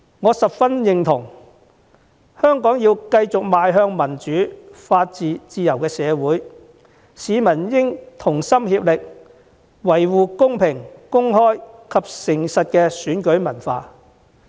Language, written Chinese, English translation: Cantonese, 我十分認同，如果香港想繼續向民主、法治、自由社會的方向邁進，市民便要同心協力，維護公平公開及誠實的選舉文化。, I very much concur with him . If Hong Kong wants to continue with its move towards a city with democracy the rule of law and freedom members of the public will have to make concerted efforts to safeguard a fair open and honest election culture